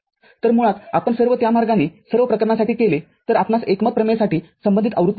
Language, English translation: Marathi, So, basically if you just do it that way for all the cases we will get the corresponding version for the consensus theorem